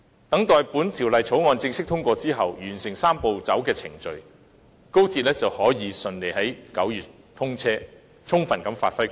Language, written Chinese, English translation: Cantonese, 待《條例草案》正式通過，完成"三步走"的程序後，高鐵就可以順利在9月通車，充分發揮其作用。, After the passage of the Bill and the completion of the Three - step Process XRL will be commissioned in September to give full play to its role